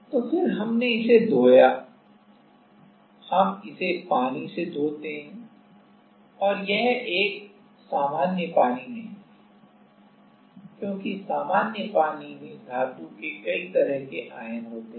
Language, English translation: Hindi, So, then we rinsed it we rinse it with water and that is not a normal water because it has many like a metal ions in usual water